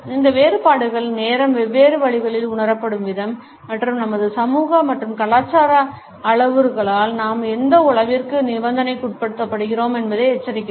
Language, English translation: Tamil, These differences alert us to the manner in which time is perceived in different ways and the extent to which we are conditioned by our social and cultural parameters